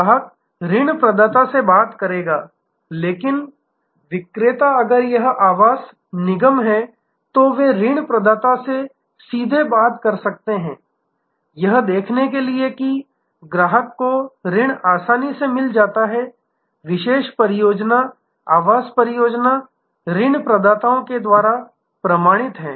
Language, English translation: Hindi, The customer will talk to the loan provider, but the seller if it is a housing development corporation, they may also talk directly to the loan provider to see that the customer gets the loan easily, the particular project, the housing project is certified by the loan provider